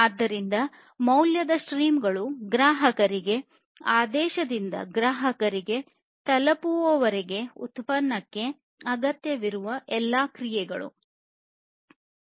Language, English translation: Kannada, So, value streams are all the actions that are required for a product from order by the customer to the delivery of the product to the customer